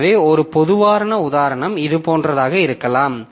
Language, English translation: Tamil, So, one typical example may be like this